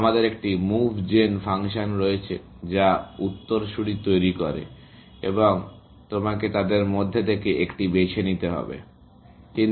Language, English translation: Bengali, We have a move gen function, which generates successors and you have to choose one of them, and so on